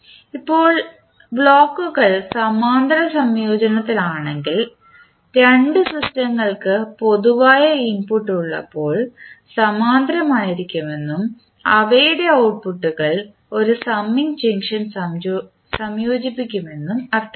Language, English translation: Malayalam, Now, if the blocks are in parallel combination means two systems are said to be in parallel when they have common input and their outputs are combined by a summing junction